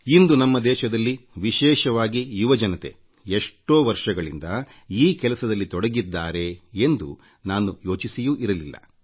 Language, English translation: Kannada, I had never even imagined that in our country especially the young generation has been doing this kind of work from a long time